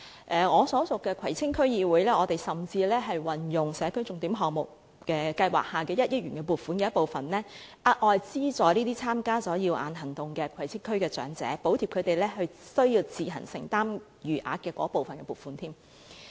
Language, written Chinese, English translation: Cantonese, 我所屬的葵青區議會甚至運用了社區重點項目計劃下的1億元撥款的一部分，額外資助參加"耀眼行動"的葵青區長者，補貼他們須自行承擔的餘額。, The Kwai Tsing District Council for which I am serving has even used part of the funding of 100 million under the Signature Project Scheme to give extra financial assistance to the elderly people in the Kwai Tsing District who have joined the Cataract Surgeries Programme subsidizing the balance to be met by them